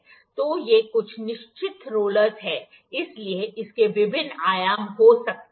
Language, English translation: Hindi, So, these are certain rollers, so it can have various dimensions